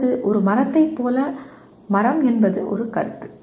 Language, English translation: Tamil, Or like a tree, tree is a concept